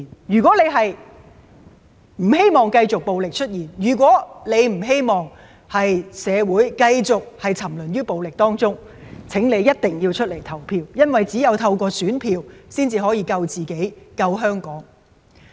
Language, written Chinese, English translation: Cantonese, 如果你不希望繼續有暴力出現，如果你不希望社會繼續沉淪於暴力中，請你一定要出來投票，因為只有透過選票，才能救自己、救香港。, If you do not want to see violence if you do not want our society to keep on indulging in violence please come out and vote . You can only save yourselves and Hong Kong through the casting of your ballots